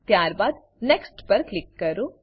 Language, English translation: Gujarati, Then click on Next